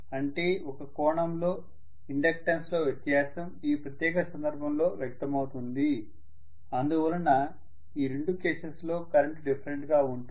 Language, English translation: Telugu, That means the difference in the inductance in one sense is manifested in this particular case because of which in the two cases, the currents happen to be different, they are not the same